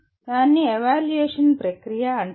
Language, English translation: Telugu, That is called evaluation process